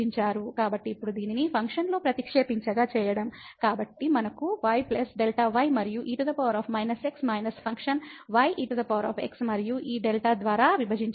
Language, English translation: Telugu, So, now, substituting this in the function; so, we have plus delta and power minus minus the function power minus and divided by this delta